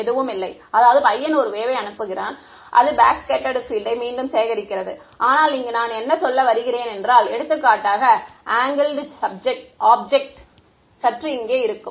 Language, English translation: Tamil, Nothing right so, this guy sends a wave and it also collects back the backscattered field, but I mean if there is for example, slightly angled object over here